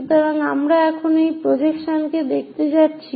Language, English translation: Bengali, So, what we are going to see is projection one this one